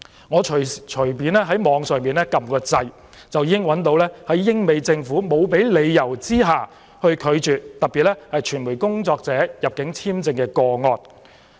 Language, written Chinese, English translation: Cantonese, 我隨便在網上搜查，就已經找到一些英、美政府沒有給予理由而拒絕傳媒工作者的入境簽證個案。, After surfing the Internet randomly I could easily find certain cases in which governments in Europe and America refused to issue entry visas to media workers without giving any reasons